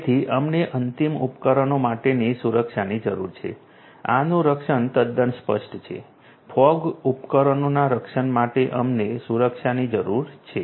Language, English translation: Gujarati, So, we need security of for end devices protection this is quite obvious, we need security for the protection of fog devices protection